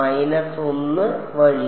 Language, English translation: Malayalam, Minus 1 by